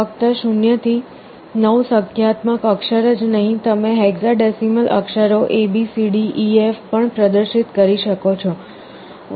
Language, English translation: Gujarati, Not only the numeric character 0 to 9, you can also display the hexadecimal characters A, B, C, D, E, F